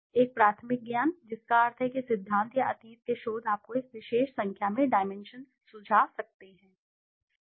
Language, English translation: Hindi, A priori knowledge, that means theory or past research may suggest you a particular number of dimensions